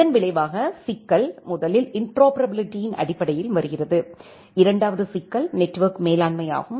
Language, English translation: Tamil, As a result, the problem comes in terms of first interoperability, the second is the network manageability